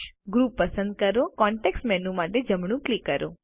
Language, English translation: Gujarati, Select the group and right click for the context menu